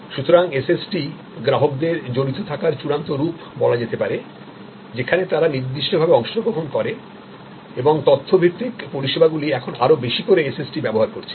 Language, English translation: Bengali, So, SST's are to summarize ultimate form of customer involvement they take specific part and more and more information based services are now using more and more of SST